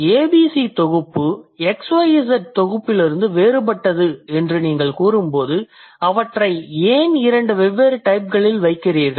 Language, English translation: Tamil, And when you say ABC set is different from XYZ set, why do you put them into different types